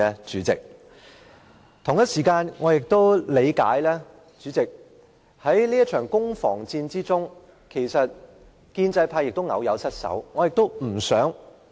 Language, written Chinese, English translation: Cantonese, 主席，我亦理解，在這場攻防戰中，建制派偶有失守。, President I know that the pro - establishment camp may have some slips in this battle